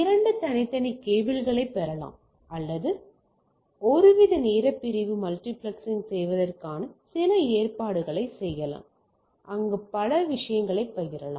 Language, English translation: Tamil, So, either I to have a separate two separate cables can receives or some arrangement of doing some sort of a time division multiplexing, where multiple things can be shared